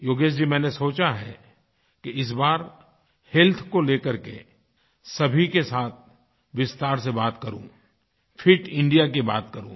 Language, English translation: Hindi, Yogesh ji, I feel I should speak in detail to all of you on 'Fit India'